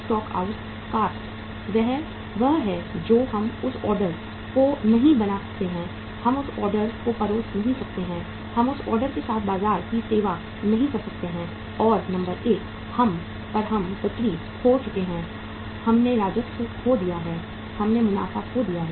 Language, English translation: Hindi, Stock out cost is one that we could not make that order, we could not serve that order, we could not serve the market with that order and number one we lost the sales, we lost the revenue, we lost the profits